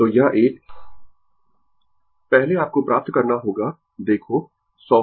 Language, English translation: Hindi, So, this one, first you have to find look 100